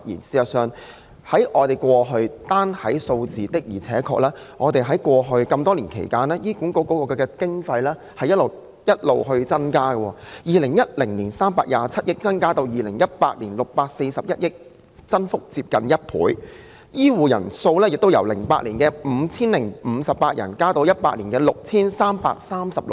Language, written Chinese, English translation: Cantonese, 事實上，單從數字可見，醫院管理局過去多年來獲得的經費確實不斷增加，由2010年的327億元增至2018年的641億元，增幅接近1倍，而醫生數目亦由2008年的 5,058 人增至2018年的 6,336 人。, Actually figures alone can show that the amount of funding allocated to the Hospital Authority HA has indeed kept increasing over all these years and it has risen by almost 100 % from 32.7 billion in 2010 to 64.1 billion in 2018 . The number of doctors has also increased from 5 058 in 2008 to 6 336 in 2018